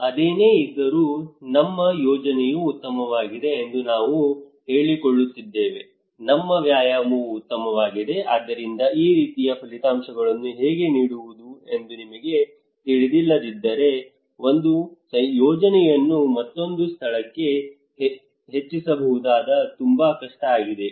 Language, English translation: Kannada, Nevertheless, we are claiming that our project is better our exercise is better so if we do not know how to make this one how to deliver this kind of outcomes then it is very difficult to scale up one project to another place